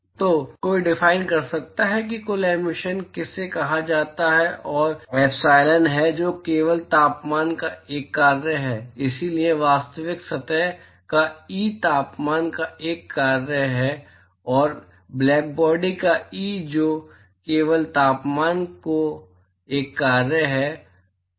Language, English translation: Hindi, So, one could define what is called a total emissivity that is epsilon which is only a function of temperature so, that will be E of the real surface is a function of temperature and E of the blackbody which is only a function of temperature